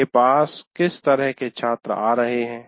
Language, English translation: Hindi, What kind of students are coming to me